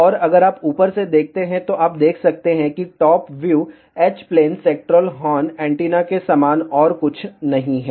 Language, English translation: Hindi, And if you look from the top, then you can see top view is nothing but similar to H plane sectoral horn antenna